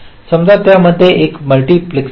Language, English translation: Marathi, suppose there is a multiplexer in between